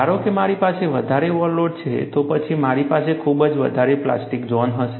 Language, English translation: Gujarati, Suppose, I have a larger overload, then, I would have a much larger plastic zone